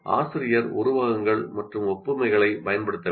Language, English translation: Tamil, So the teacher should use similes and analogies